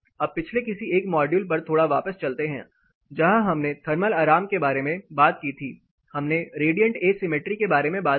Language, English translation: Hindi, Now getting little back to one of the previous module where we talked about thermal comfort, we talked about radiant asymmetry